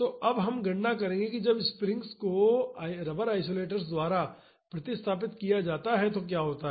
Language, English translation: Hindi, So, now we will calculate what happens when the springs are replaced by rubber isolators